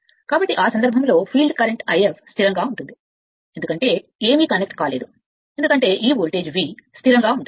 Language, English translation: Telugu, So, in that in that case, your field current I f remain constant because, nothing is connected here because, this voltage V is remains constant